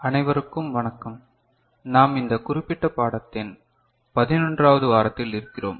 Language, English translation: Tamil, Hello everybody, we are in week 11 of this particular course